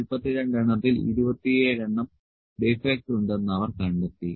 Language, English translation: Malayalam, And out of 42, they find that 27 defects are there